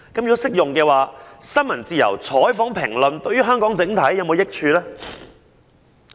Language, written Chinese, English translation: Cantonese, 如適用的話，新聞及採訪自由及評論自由對香港整體是否有益處？, If it is is freedom of the press of news coverage and of discussion beneficial to Hong Kong as a whole?